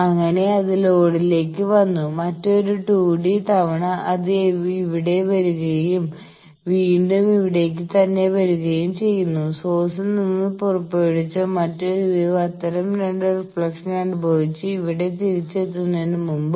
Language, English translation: Malayalam, So, that came to the load, that came here and again coming back here; another 2 T d time before there was another wave that was emitted from source that suffered, two such reflections and came back here